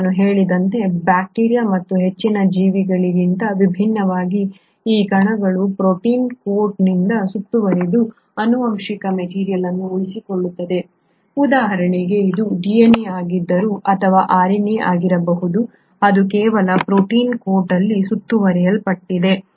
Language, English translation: Kannada, And as I mentioned unlike bacteria and higher organisms, though these particles retain a genetic material which is surrounded by a protein coat, for example if this is a DNA or it can be RNA, it is just encapsulated in a protein coat